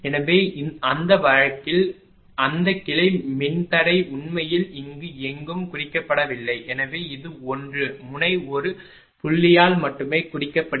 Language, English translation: Tamil, So, in that case that branch impedance are given for actually here not marked anywhere so this you also marking 1 node by a point only by a dot right